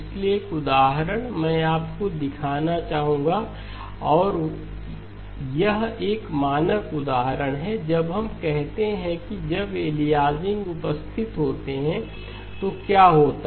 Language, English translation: Hindi, So there is one example that I would like to show you and it is a standard example when we say that what happens when you have aliasing as present